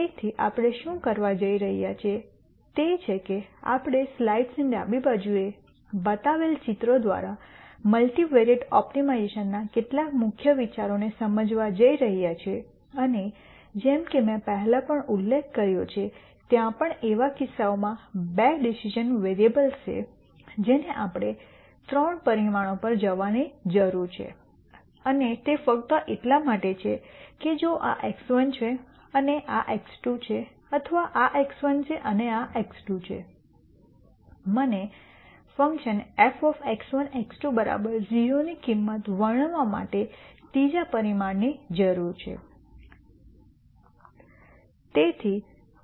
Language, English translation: Gujarati, So, what we are going to do is we are going to explain some of the main ideas in multivariate optimization through pictures such as the one that I have shown on the left side of the slide and as I mentioned before since even for cases where there are two decision variables we need to go to 3 dimensions and that is simply because if this is x 1 and this is x 2 or this is x 1 and this is x 2, I need a third dimension to describe the value of the function x 1 comma x 2 equal to 0